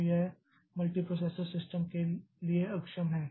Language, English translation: Hindi, So, multiprocessor systems, it becomes difficult